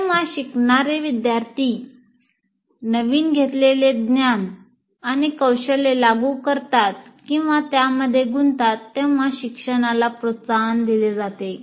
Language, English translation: Marathi, Then learning is promoted when learners apply or engage with their newly required, acquired knowledge and skill